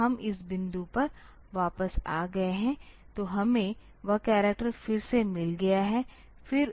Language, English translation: Hindi, So, we have we have come back to this point; so we have got that character again here